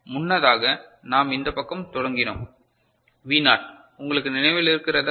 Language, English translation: Tamil, Earlier we started from this side was V naught you remember that ok